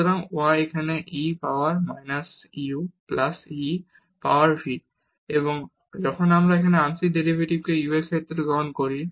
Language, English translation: Bengali, So, the y is here e power minus u plus e power v and when we take the partial derivative here with respect to u